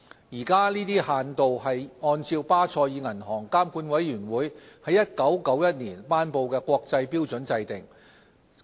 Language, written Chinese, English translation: Cantonese, 現時，這些限度是按照巴塞爾銀行監管委員會在1991年頒布的國際標準制訂。, The current exposure limitations follow the standards promulgated by the Basel Committee on Banking Supervision BCBS in 1991